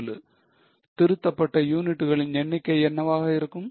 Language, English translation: Tamil, What will be the revised number of units